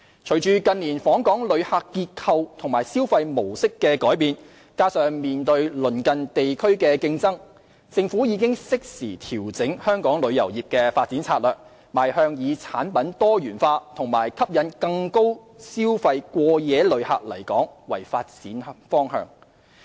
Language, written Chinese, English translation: Cantonese, 隨着近年訪港旅客結構及消費模式的改變，加上面對鄰近地區的競爭，政府已適時調整香港旅遊業的發展策略，邁向以產品多元化及吸引更多高消費過夜旅客來港為發展方向。, Given the change in the mix and spending pattern of visitors to Hong Kong in recent years coupled with the competition posed by neighbouring regions the Government has made timely adjustment to the development strategies of the tourism industry of Hong Kong guiding it in the direction of developing diversified services and attracting more high - spending overnight visitors to Hong Kong